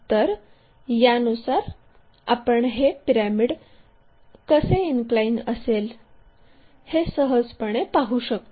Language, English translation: Marathi, With that visual we can easily recognize how this pyramid is inclined